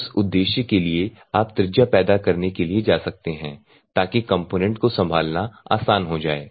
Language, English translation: Hindi, So, for that purpose you can go for generating radius so that the component will be easy to handle